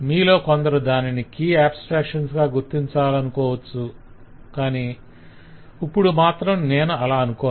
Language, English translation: Telugu, i mean, may be some of you would like to make it a key abstractions, but probably i will not make it at this stage